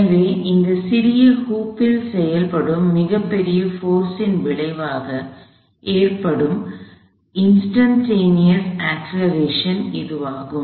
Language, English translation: Tamil, So, this is the instantaneous acceleration that is resulting from a very large force acting on this little hoop